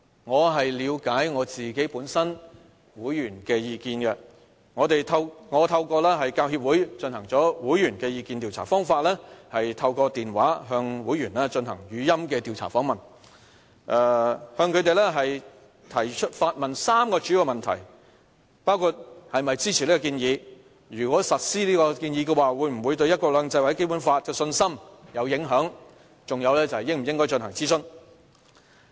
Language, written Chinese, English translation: Cantonese, 為了解會員的意見，我透過教協進行了會員意見調查，方法是透過電話向會員進行語音調查訪問，提出3個主要問題，包括是否支持此項建議、如果實施此建議的話，會否對"一國兩制"或《基本法》的信心有影響，以及應否進行諮詢？, The survey was conducted through the Hong Kong Professional Teachers Union HKPTU by means of an interactive voice response system . In the survey we have asked the respondents three questions whether they support the proposal; whether the implementation of the proposal will affect their confidence in one country two systems or the Basic Law; and whether it is necessary to conduct a consultation